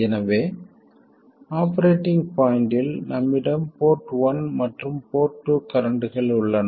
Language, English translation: Tamil, So, at the operating point we have the port one and port two currents